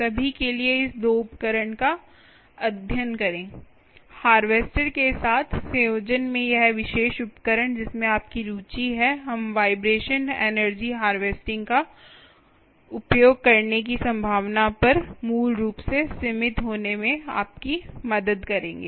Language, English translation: Hindi, for all that, study this two tools, this particular tool, in combination with the harvester that you have of interest, we will together help you to ah basically narrow down on the ah possibility of using vibration energy harvesting